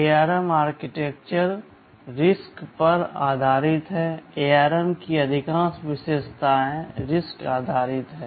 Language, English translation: Hindi, Now, ARM is based on the RISC philosophy of architectures, most of the ARM features are RISC based